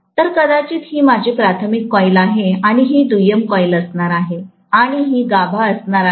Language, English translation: Marathi, So, this is actually my primary coil probably and this is going to be the secondary coil and this is going to be the core, right